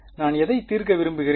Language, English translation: Tamil, Which I want to solve for